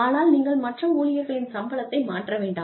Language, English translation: Tamil, But, you do not change the salaries, of the other employees